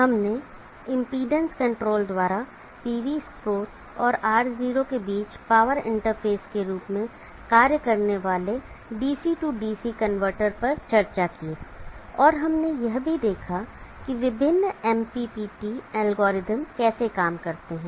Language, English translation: Hindi, We have discussed the DC DC converter acting as the power interface between the PV source and R0 by impedance control and we have also seen how the various MPPT algorithms operate